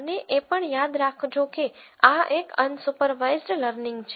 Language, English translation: Gujarati, And also remember that this is a unsupervised learning